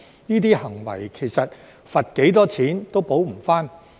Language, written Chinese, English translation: Cantonese, 這些行為其實罰多少錢都無法補償。, In fact no amount of fine can make up for these behaviours